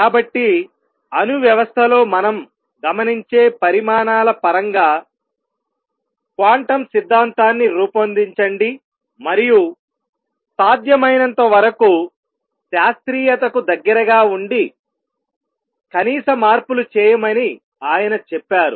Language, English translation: Telugu, So, he says formulate quantum theory in terms of quantities that we observe in an atomic system, and remain as close to the classical as possible make minimum changes